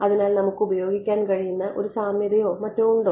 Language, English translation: Malayalam, So, is there a similarity or something that we can use ok